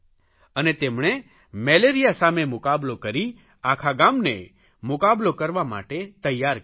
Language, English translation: Gujarati, She fought with Malaria and prepared the entire village to fight against it